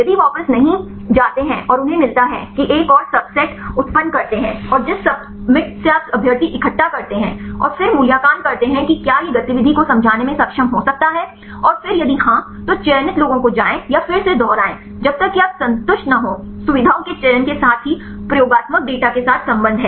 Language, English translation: Hindi, If not go back and they get that generate another subset and from the subset you collect the candidates, and then again evaluate whether this can be able to explain the activity and then if yes then go the selected ones or repeat again unless you are satisfied with the a features selections as well as the relationship with the experimental data